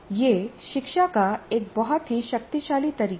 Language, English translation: Hindi, It's a very, very powerful method of instruction